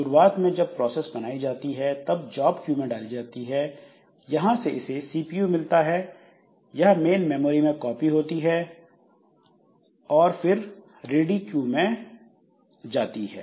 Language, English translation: Hindi, So, initially the process when the process is created, so it is put into the job queue from there when the process has been, has got the CPU, got the, got the copied onto main memory, it comes to the ready queue